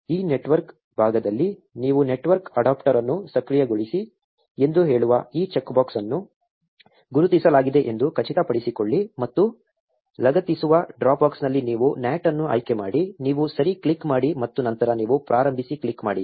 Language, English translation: Kannada, At this network part you just make sure that this check box saying enable network adapter is ticked and you select NAT amongst the drop box which says attach to, you click ok and then you click start